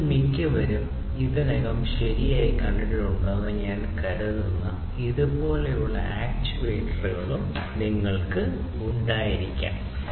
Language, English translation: Malayalam, You could also have actuators like these which I think most of you have already seen right